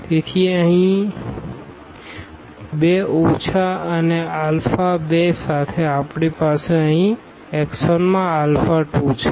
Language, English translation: Gujarati, So, minus 2 here and with alpha 2 we have with alpha 2 here in x 1 we have minus 9